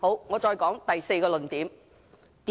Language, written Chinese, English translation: Cantonese, 我再說第四個論點。, I will present the fourth argument